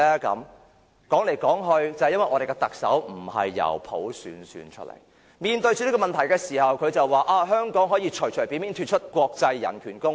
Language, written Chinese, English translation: Cantonese, 說來說去，也是由於我們的特首並非由普選產生，當面對這些問題時，他便會說香港可以隨便脫離國際人權公約。, After all it is because our Chief Executive is not elected by universal suffrage and hence when problems arise it will be very easy for him to say that Hong Kong may withdraw from any international conventions on human rights at any time